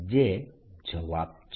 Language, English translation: Gujarati, that's the answer